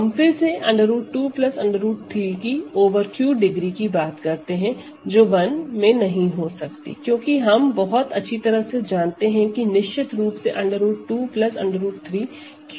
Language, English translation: Hindi, Going over this going back to this degree of root 2 plus root 3 over Q cannot be 1 because, root 2 plus root 3 certainly we know very well is not in Q